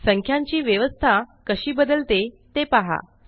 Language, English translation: Marathi, See how the placements of the figures change